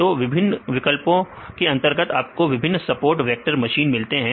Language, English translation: Hindi, So you can get various, support vector machines, under various options